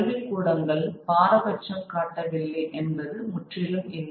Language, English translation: Tamil, It wasn't that completely that the academies were not prejudiced